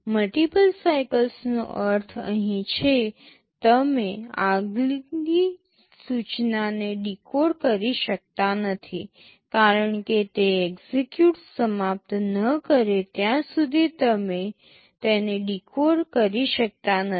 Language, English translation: Gujarati, Multiple cycle means here you cannot decode this next instruction, unless this execute is over you cannot decode it